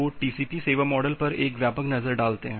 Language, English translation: Hindi, So, a broad look on the TCP service model